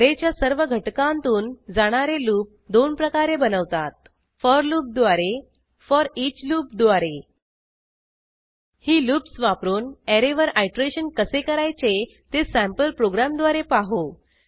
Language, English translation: Marathi, There are two ways of looping over an array Using for loop Using foreach loop Lets learn how to use these loops to iterate over an array using a sample program